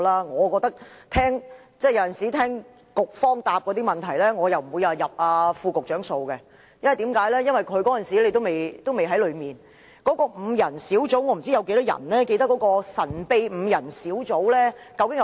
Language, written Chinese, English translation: Cantonese, 我聽到局方的答覆——我不會算在副局長頭上，因為他當時也未曾上任——我不知道有多少人會記得那個神秘5人核心小組的成員是誰。, After listening to the reply of the Bureau―I will not hold the Under Secretary responsible because he has not assumed office at that time―I wonder how many people will remember the membership of the secretive five - member core team